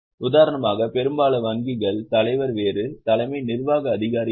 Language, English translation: Tamil, For example, most of the banks, chairman is different, CEO is different